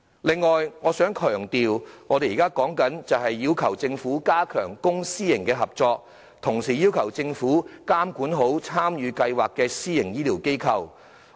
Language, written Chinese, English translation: Cantonese, 此外，我想強調，我們要求政府加強公私營合作，並監管參與公私營醫療協作計劃的私營醫療機構。, Moreover I wish to stress that we request the Government to enhance public - private partnership and monitor the private healthcare organizations participating in the public - private partnership programme in healthcare